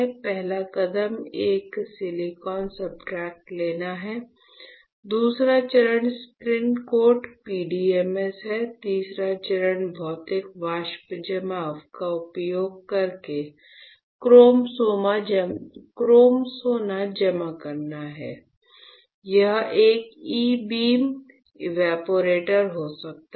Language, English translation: Hindi, Again I am repeating; the first step is to take a silicon substrate; the second step is spin coat PDMS; the third step is you deposit chrome gold using physical vapor deposition, it can be an E beam evaporator, it can be thermal evaporator